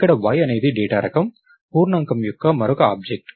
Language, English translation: Telugu, So, here y is another object of the data type integer